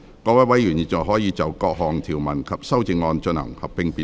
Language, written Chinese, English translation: Cantonese, 各位委員現在可以就各項條文及修正案，進行合併辯論。, Members may now proceed to a joint debate on the clauses and the amendment